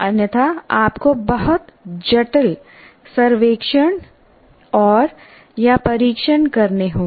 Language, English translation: Hindi, Otherwise, you have to do very complicated surveys and tests